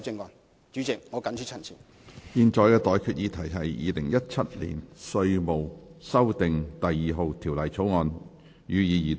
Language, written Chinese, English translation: Cantonese, 我現在向各位提出的待決議題是：《2017年稅務條例草案》，予以二讀。, I now put the question to you and that is That the Inland Revenue Amendment No . 2 Bill 2017 be read the Second time